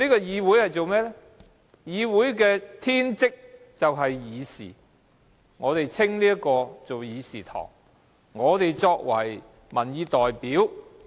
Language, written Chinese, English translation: Cantonese, 議會的天職是議事，所以這個地方稱為議事堂，而我們則是民意代表。, The function of the Council is to hold discussions so this place is called the Chamber and we are the representatives of public opinions